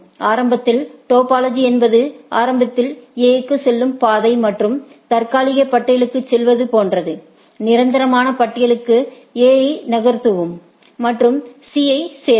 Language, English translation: Tamil, Initially, the topology is like that initially the say the route to A and move to tentative list; move A to permanently list and add C these